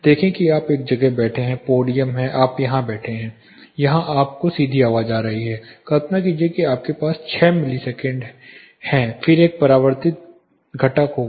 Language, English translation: Hindi, See you are sitting in a place that is the podium you are seated here there is a direct sound coming here, say imagine you have a 6 milliseconds then there will be a reflected component